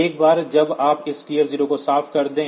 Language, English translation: Hindi, once you clear this TF0